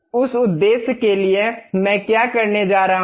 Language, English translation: Hindi, For that purpose, what I am going to do